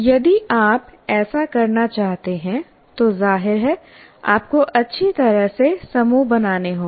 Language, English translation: Hindi, If you want to do that, obviously you have to form the groups right